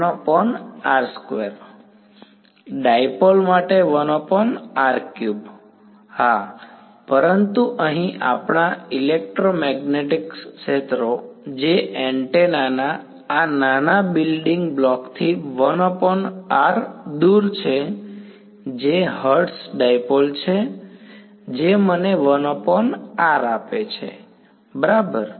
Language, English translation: Gujarati, r square right, but here what do we see electromagnetic fields 1 by r far away from the sort of this smallest building block of an antenna which is a Hertz dipole, gives me a 1 by r ok